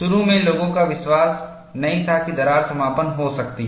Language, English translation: Hindi, Initially, people did not believe that crack closure could happen